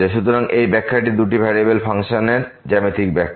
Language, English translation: Bengali, So, this is the interpretation the geometrical interpretation of the functions of two variables